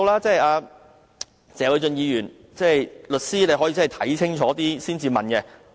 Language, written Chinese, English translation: Cantonese, 謝偉俊議員既是律師，可以先看清楚才提問。, As Mr Paul TSE is a lawyer he should check things out before asking questions